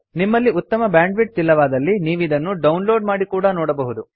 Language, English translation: Kannada, If you do not have good bandwith , you can download and watch it